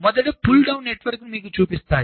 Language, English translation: Telugu, let me show you the pull down network first